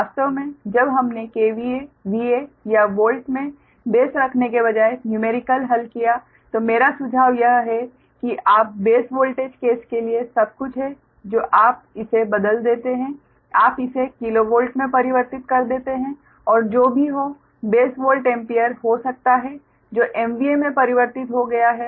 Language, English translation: Hindi, actually, when we solved numericals, rather than keeping base in k v a, v a or volt, my suggestion is everything you per base voltage case, you transform it to you cons, a, you converted to kilovolt and whatever may be the base, ah, volt, ampere, all that i have converted to m v a